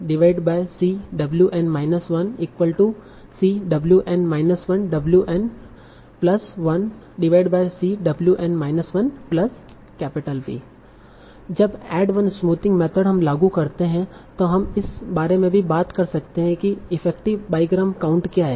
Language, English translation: Hindi, Now, when we apply this ad one smoothing method, we can also talk about what is the effective bygram count